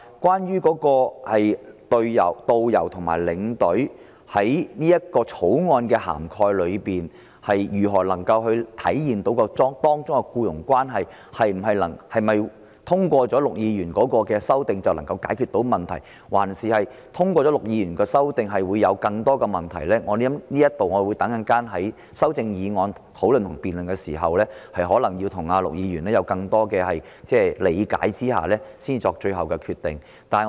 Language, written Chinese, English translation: Cantonese, 至於他另一項修正案，把旅行代理商與導遊和領隊之間的關係規定為僱傭關係，是否通過了陸議員的修正就能解決問題，還是通過他的修正後會有更多的問題，我稍後在修正案辯論時，可能要向陸議員了解更多，才會作最後決定。, As regards his another amendment to define the relationship between travel agents and tourist guidestour escorts as an employer - employee one I may have to learn more from Mr LUK when we debate on the amendments later before I make my final decision on whether the passage of his amendment will solve the problem or bring about even more problems